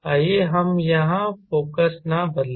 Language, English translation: Hindi, it does not change the focus here